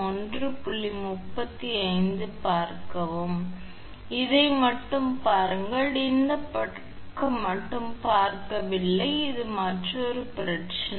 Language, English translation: Tamil, So, look at this one only your this side do not see, this is another problem